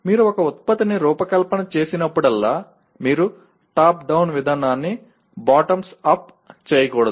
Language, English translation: Telugu, That is whenever you design a product you should do top down approach not bottoms up